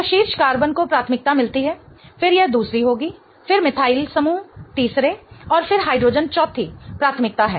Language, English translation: Hindi, So, the top carbon gets the priority one, then this will be second, then the methyl group third and then hydrogen is the fourth priority